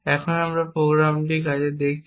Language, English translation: Bengali, Now that we have seen these programs work